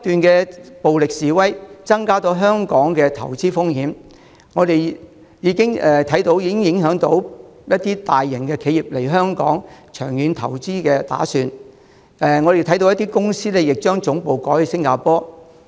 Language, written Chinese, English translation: Cantonese, 另外，暴力示威不斷，增加了香港的投資風險，就我們所見，這已影響了一些大型企業來港作長遠投資的打算。我亦看到有些公司將總部改設於新加坡。, Moreover endless violent protests have increased the risks of investing in Hong Kong . As we observed this has already affected the plans of some large corporations to make long - term investment in Hong Kong and I have also noted that some firms have relocated their headquarters to Singapore